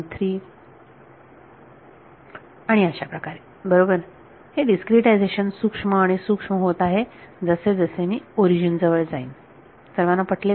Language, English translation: Marathi, 3 and so on; right, the discretization is getting finer and finer as I approach the origin is everyone convinced about this